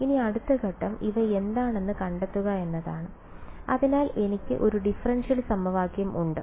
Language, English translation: Malayalam, Now the next step is to find out what are these a’s right, so I have a differential equation